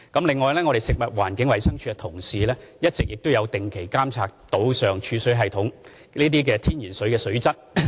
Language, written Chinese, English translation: Cantonese, 此外，食環署的同事一直有定期監察島上儲水系統內天然水的水質。, In addition colleagues from FEHD have been regularly monitoring the quality of natural water in the storage system on the island